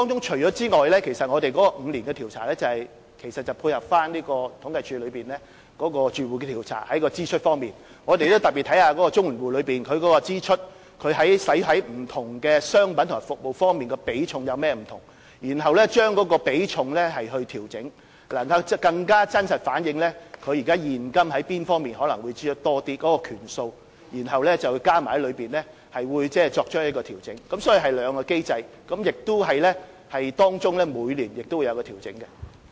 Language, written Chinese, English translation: Cantonese, 除此以外，每5年進行調查其實是要配合政府統計處對綜援住戶開支統計調查的結果，我們會特別檢視綜援戶用於不同商品及服務方面的支出比重有何不同，然後調整比重，這樣更能真實反映他們現今用在哪方面的支出可能較多的權數，然後加進去作出調整，所以是兩項機制，當中每年亦會作出調整。, In addition the survey conducted every five years is in line with findings of the Household Expenditure Survey on CSSA households by the Census and Statistics Department CSD . We will examine the differences in the proportions of CSSA household expenditure on various products and services before adjusting the proportions so that the adjustments can truly reflect which areas of expenditure carry higher weightings . Therefore there are two mechanisms and adjustment is made every year